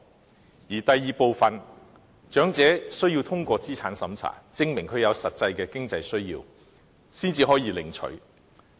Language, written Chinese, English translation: Cantonese, 至於第二部分，則設有資產審查，長者需要通過審查，證明有實際的經濟需要，才可領取有關款項。, The second part is means - tested . Elderly persons must pass the means test and prove their financial needs before receiving the money